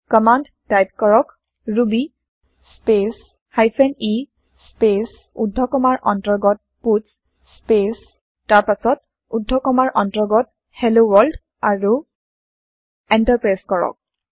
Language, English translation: Assamese, Type the command ruby space hyphen e space within single quotes puts space then within double quotes Hello World and Press Enter